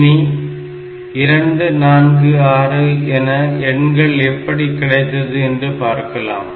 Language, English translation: Tamil, How are you getting this 2 4 6 these numbers